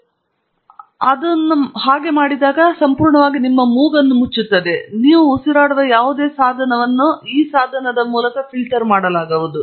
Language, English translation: Kannada, If you put it like that, it would then completely cover your nose, and then, you wouldÉ whatever you breathe would then be filtered through this device